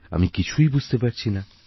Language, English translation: Bengali, I don't get it